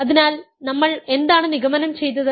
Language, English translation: Malayalam, So, what did we conclude